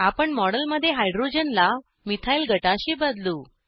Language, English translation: Marathi, We will substitute the hydrogen in the model with a methyl group